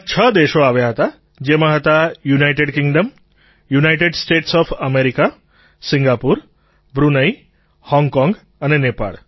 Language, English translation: Gujarati, Six countries had come together, there, comprising United Kingdom, United States of America, Singapore, Brunei, Hong Kong & Nepal